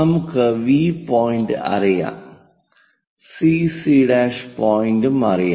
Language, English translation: Malayalam, So, V point is known, CC prime point is known